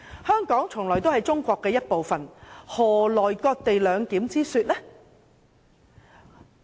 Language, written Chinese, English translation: Cantonese, 香港從來都是中國的一部分，何來"割地兩檢"之說？, Hong Kong has always been a part of China . Where does the idea of cession - based co - location arrangement come from?